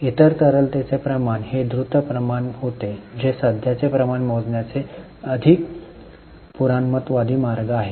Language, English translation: Marathi, The other liquidity ratio was quick ratio which is more conservative way of calculating current ratio